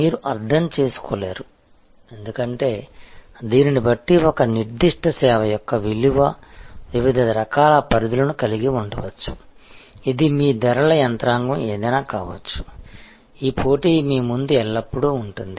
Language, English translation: Telugu, You will not be able to understand, because depending on this, the value for one particular service may have different types of ranges, this is you know kind of a whatever may be your pricing mechanism, this is always there in front of you, the competition